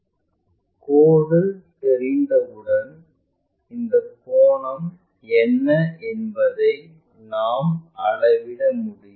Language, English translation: Tamil, Once line is known we can measure what is this angle